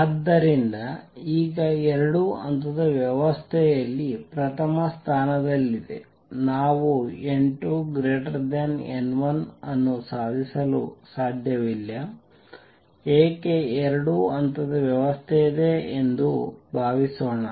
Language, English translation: Kannada, So, now number one in a two level system, we cannot achieve n 2 greater than n 1 why suppose there is a two level system